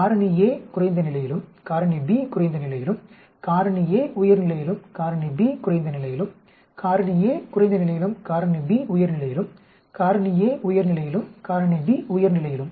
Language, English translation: Tamil, Factor a at low level factor b at low level, factor a at high level factor b at low level, factor a at low level, factor b at high level, factor a at high, b at high